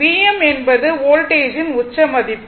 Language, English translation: Tamil, V m is the peak value of the voltage